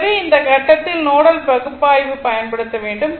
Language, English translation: Tamil, So, at this point, so, now you apply the nodal analysis